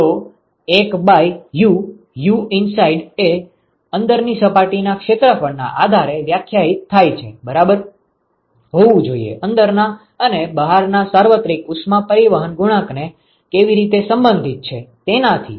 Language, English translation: Gujarati, So, 1 by U U inside define based on the inside surface area that should be equal to how are the inside and the outside here universal heat transport coefficient related